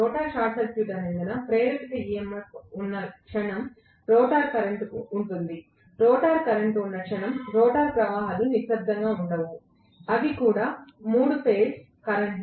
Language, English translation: Telugu, The moment there is an induced EMF because the rotor is short circuited, there will be a rotor current, the moment there is a rotor current, the rotor currents are not going to keep quiet, they are also 3 phase current after all